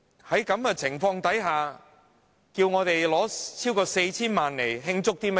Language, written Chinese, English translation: Cantonese, 在這種情況下，要我們撥款超過 4,000 萬元，究竟想慶祝甚麼？, Under such circumstances what kind of celebration will the funding of over 40 million be used for?